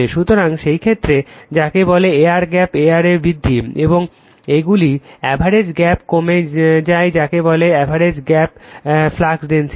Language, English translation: Bengali, So, in that case, your what you call your that is your enlargement of the effective air gap area, and they decrease in the average gap your what you call average gap flux density